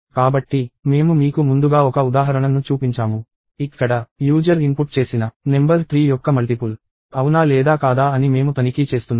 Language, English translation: Telugu, So, I showed you an example earlier; where, we were checking if the number that is input by the user is a multiple of 3 or not